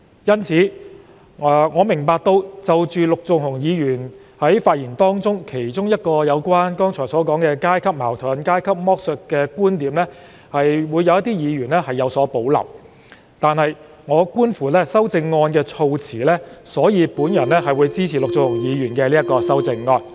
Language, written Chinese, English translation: Cantonese, 因此，對於陸頌雄議員發言時提及的階級矛盾和階級剝削的其中一個觀點，我明白有一些議員會有所保留，但觀乎其修正案的措辭，我會支持陸頌雄議員的修正案。, That said I understand why some Members have reservation over the one point about class contradiction and class exploitation which Mr LUK Chung - hung raised in his speech . But having regard to the wording of Mr LUK Chung - hungs amendment I will support his amendment